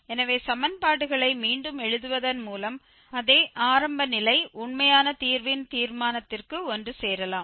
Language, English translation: Tamil, So, by just rewriting the equations the same initial condition may converge to the determination of the actual root